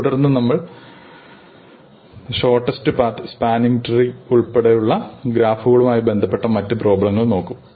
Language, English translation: Malayalam, And then we will look at other canonical problems on graphs including shortest paths and spanning trees